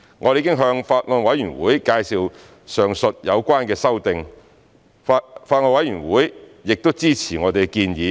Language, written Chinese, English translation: Cantonese, 我們已向法案委員會介紹上述有關的修訂，法案委員會亦支持我們的建議。, We have introduced the above amendments to the Bills Committee and the Bills Committee also support our proposals